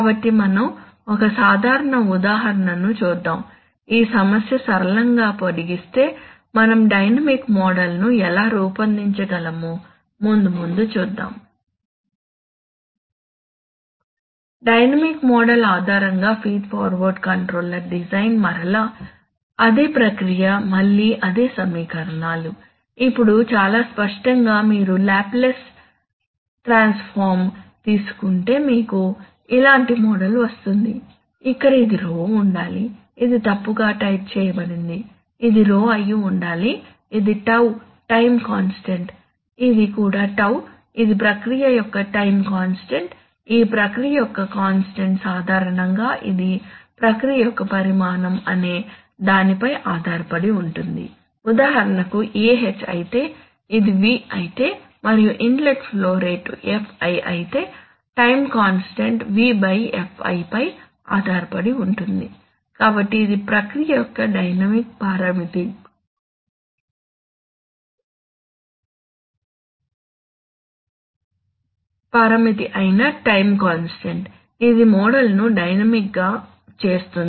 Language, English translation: Telugu, So for transient response shaping we need a dynamic feed forward control for which we need a, we need an accurate dynamic model, so let us see a simple example, simple extension of this problem how we can design a dynamic model, so we are going to look at, Feed forward controller design based on a dynamic model, so again the same process again the same equations, now so obviously if you take if you take Laplace transform then you will get a model like this, here this should be Rho this is wrongly typed, this should be Rho this is tau the time constant, this is also tau, this is the time constant of the process, this time constant of the process generally depends on what it depends on the volume of the process, for example if , if this is V and if the inlet flow rate Fi then the time constant will be dependent on V by Fi, right, so this is the time constant which is a dynamic parameter of the process, this is not a, this is what makes the model dynamic